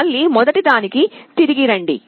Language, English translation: Telugu, Again come back to the first